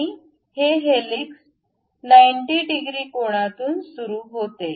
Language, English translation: Marathi, And this helix begins from 90 degrees angle